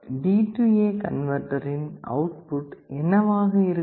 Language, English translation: Tamil, What will happen to the output of the D/A converter